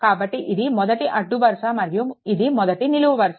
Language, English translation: Telugu, So, this is the first row and this is the first column